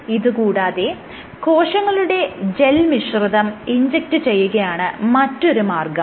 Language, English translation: Malayalam, The other strategy is what you do is you inject a cell gel mixture